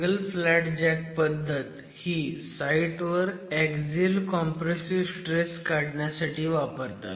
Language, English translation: Marathi, So the single flat jack testing is meant to estimate what the in situ axial compressive stress is